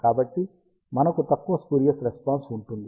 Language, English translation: Telugu, So, we will have less spurious response